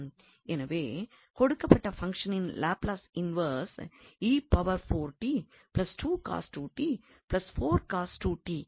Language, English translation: Tamil, So, this is one of the techniques to get the inverse of the Laplace transform